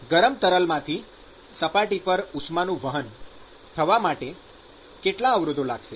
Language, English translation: Gujarati, What will be the resistance offered for heat transport from the hot fluid to the surface